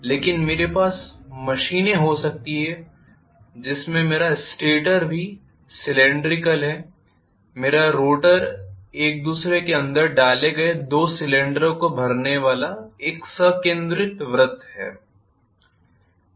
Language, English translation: Hindi, It is having protrusions in the form of poles but I may have machines there my stator is also cylindrical my rotor is another concentric circles filling up two cylinders inserted inside one another